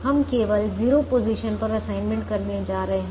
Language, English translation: Hindi, we make assignments only in zero positions